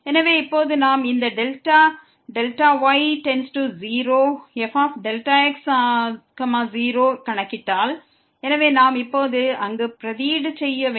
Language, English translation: Tamil, So now, if we compute this delta goes to 0 delta delta so we have to substitute there now